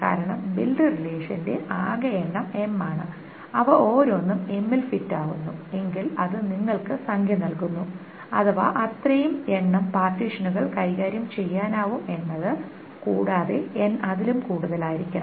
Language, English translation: Malayalam, Because the total number of build relations is M and if each of them fits in M that gives you the number that many partitions can be handled and N should be more than that